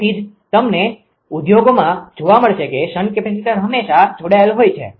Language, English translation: Gujarati, That is why you will find industry the shunt capacitors are always there